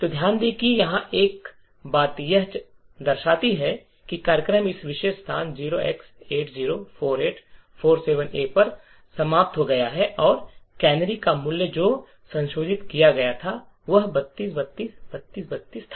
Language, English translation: Hindi, So, note that there is one thing over here it shows that the program has terminated at this particular location 0x804847A and the value of the canary which has been modified was 32, 32, 32, 32